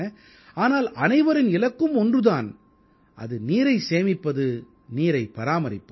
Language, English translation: Tamil, But the goal remains the same, and that is to save water and adopt water conservation